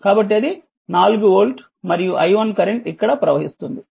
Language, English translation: Telugu, So, that is why it is 4 volt and some current i1 is flowing here right